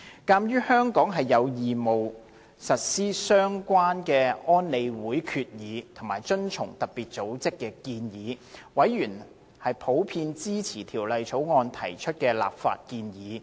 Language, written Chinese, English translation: Cantonese, 鑒於香港有義務實施相關的安理會決議，以及遵從特別組織的建議，委員普遍支持《條例草案》提出的立法建議。, In the light of Hong Kongs obligation to implement relevant resolutions of UNSC and to comply with FATFs recommendations members in general are in support of the legislative proposals put forward in the Bill